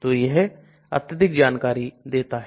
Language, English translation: Hindi, So it gives lot of information